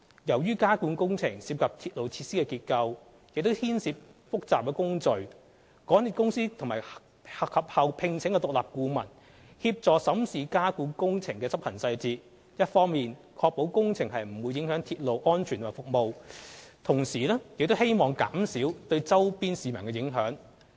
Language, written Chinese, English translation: Cantonese, 由於加固工程涉及鐵路設施的結構，亦牽涉複雜的工序，港鐵公司及後聘請獨立顧問協助審視加固工程的執行細節，一方面確保工程不會影響鐵路安全及服務，同時亦希望減少對周邊市民影響。, As the underpinning works concern the structure of the railway facilities and involve complicated procedures MTRCL commissioned an independent consultant to assist in examining the implementation details of the underpinning works to ensure that the works will not affect railway safety and services and minimize the impact to nearby residents